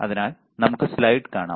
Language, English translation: Malayalam, So, let us see the slide